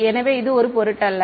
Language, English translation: Tamil, So, does not matter